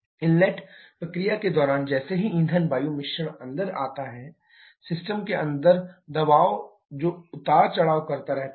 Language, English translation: Hindi, As the fuel air mixture goes in, during the inlet process, the pressure inside the system that keeps on fluctuating